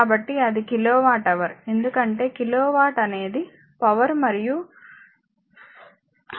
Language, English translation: Telugu, So, that is kilowatt hour, because kilowatt is the power and hour is the time